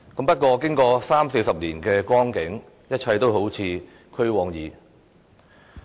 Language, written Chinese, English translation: Cantonese, 不過，經過三四十年的光景，一切都好像俱往矣。, Sadly after three or four decades it looks like all this has already become history